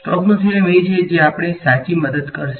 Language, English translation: Gujarati, Stokes theorem is what is going to help us right